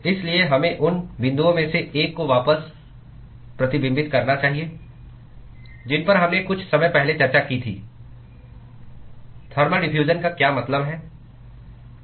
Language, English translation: Hindi, So, we should reflect back one of the points that we discussed a short while ago what is meant by thermal diffusion